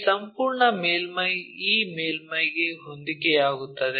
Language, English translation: Kannada, This entire surface coincides with this surface